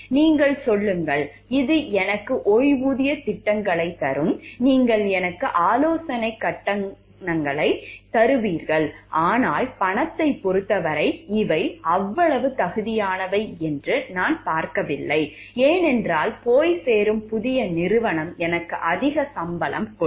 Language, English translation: Tamil, You tell me it will be given me pension plans, you will give me consultancy fees, but I do not see these to me like much worthy in terms of money, because the new company that will go and join will be paying me much higher